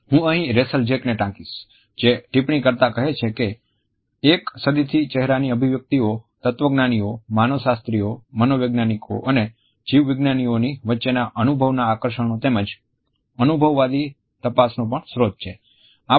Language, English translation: Gujarati, I would like to quote Rachael Jack here, who has commented that “facial expressions have been the source of fascination as well as empirical investigation amongst philosophers, anthropologist, psychologist and biologist for over a century”